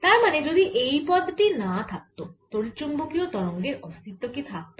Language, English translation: Bengali, so if this term is not there, there will be no electromagnetic waves